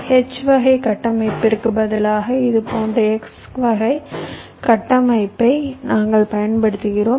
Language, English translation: Tamil, same thing: instead of the x type structure, we are using an x type structure like this